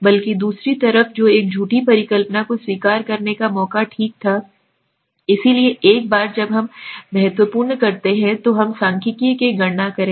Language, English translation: Hindi, Rather the other side is which was the chance of accepting a false hypothesis okay so once we do the significant then we calculate the statistic